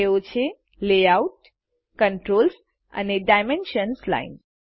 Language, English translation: Gujarati, They are the Layout, Controls and Dimensions Lines